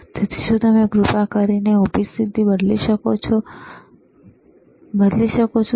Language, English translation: Gujarati, So, connect can you please change the vertical position,